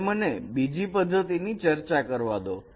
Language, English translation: Gujarati, Let me discuss the other method